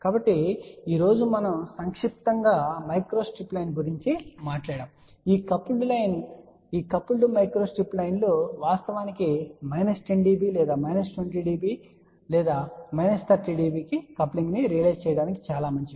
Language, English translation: Telugu, So, today just to summarize we talked about coupled micro strip line these coupled micro strip lines are actually speaking good for realizing coupling of minus 10 db or minus 20 db or minus 30 db